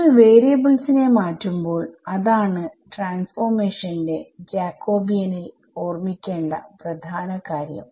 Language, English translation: Malayalam, When you do change of variables what is the main thing that you should not forget the Jacobian of the transformation right